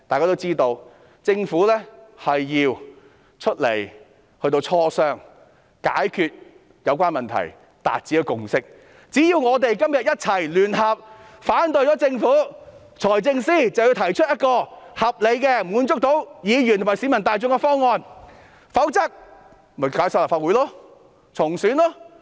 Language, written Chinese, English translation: Cantonese, 屆時，政府要出來磋商，解決有關問題，以期達致共識，所以只要我們今天聯合反對政府，財政司司長便要提出一個合理、可以滿足議員和市民大眾的方案，否則便解散立法會、重選。, By then the Government has to initiate negotiation and address the problems so as to arrive at a consensus . Hence if we could come together to oppose the Government the Financial Secretary would have to put forth a reasonable proposal which can meet the aspirations of Members and the public . Otherwise the Legislative Council has to be dissolved and a new Legislative Council has to be elected